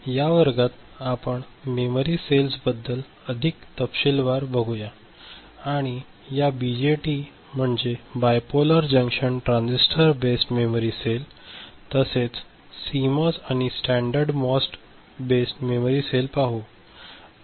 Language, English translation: Marathi, In this class we shall look more into this memory cells and we shall look into this BJT Bipolar Junction Transistor based memory cell, as well as CMOS and standard MOS based memory cell ok